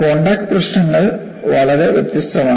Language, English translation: Malayalam, Contact problems are far different